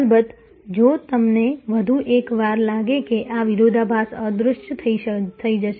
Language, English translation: Gujarati, Of course, if you feel one more time that will this paradox disappears